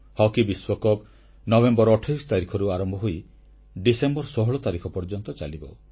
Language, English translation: Odia, The Hockey World Cup will commence on the 28th November to be concluded on the 16th December